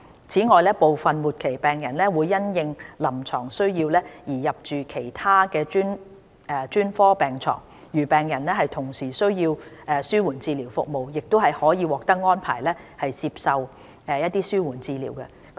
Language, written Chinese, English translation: Cantonese, 此外，部分末期病人會因應臨床需要而入住其他專科病床，如病人同時需要紓緩治療服務，亦可獲安排接受紓緩治療。, Besides if necessary some terminally - ill patients admitted to other specialties who are in need of palliative care services can also receive treatment from the palliative care teams